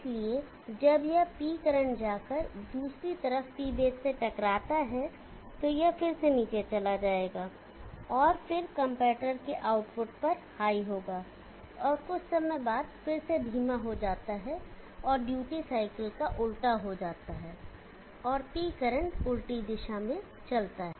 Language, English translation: Hindi, So when this P current goes and hits the other side P base again it will go below, and then there is high at the output of the comparator and after sometime again goes slow and there is a reverse of the duty cycle and P current moves in the reverse direction